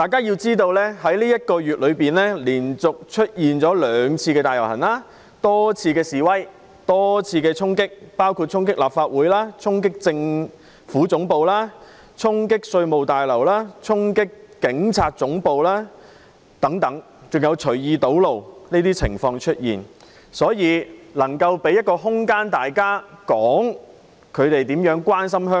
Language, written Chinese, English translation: Cantonese, 在這個月內連續出現兩次大遊行及多次示威和衝擊，包括衝擊立法會綜合大樓、政府總部、稅務大樓及警察總部等，還出現隨意堵路的情況，所以我覺得有需要給議員一個空間，表達大家如何關心香港。, In this month there were two massive rallies several protests and charging acts including storming the Legislative Council Complex the Central Government Offices the Revenue Tower and the Hong Kong Police Headquarters etc . In addition some people heedlessly blocked roads . Thus I think it is necessary to give Members an opportunity to express their concerns about Hong Kong